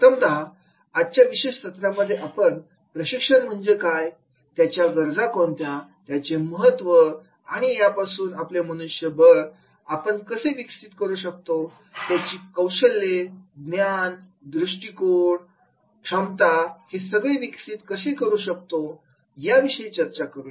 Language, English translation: Marathi, First, I will discuss today in this particular session which will talk about that is the what is the training, its needs, its importance and how we can enhance our Manpower, Skills, Knowledge, Attitude, Ability so that we can develop the human capital